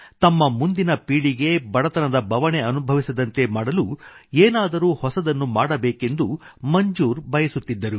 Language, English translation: Kannada, Manzoor bhai wanted to do something new so that his coming generations wouldn't have to live in poverty